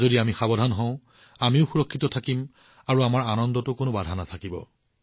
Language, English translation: Assamese, If we are careful, then we will also be safe and there will be no hindrance in our enjoyment